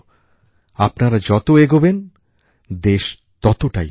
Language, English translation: Bengali, The more you progress, the more will the country progress